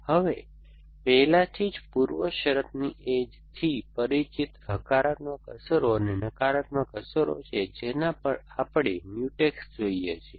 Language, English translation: Gujarati, Now, already familiar with the precondition edges, the positive effects and the negative effects we look at work Mutex is in the movement